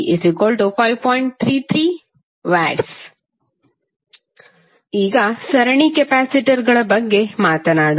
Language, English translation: Kannada, Now, let us talk about the series capacitors